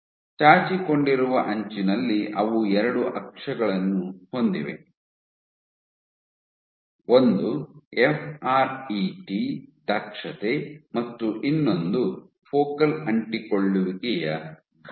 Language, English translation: Kannada, And they found at the protruding edge they have 2 axes one is your FRET efficiency and one is your focal adhesion size